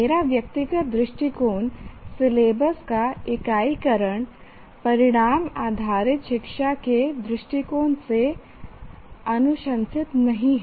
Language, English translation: Hindi, Strictly, my personal point of view is unitization of syllabus is not to be recommended from the point of view of outcome based education